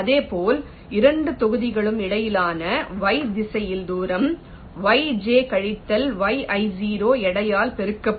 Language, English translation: Tamil, similarly, in the y direction, distance between the two blocks will be yj minus yi zero multiplied by weight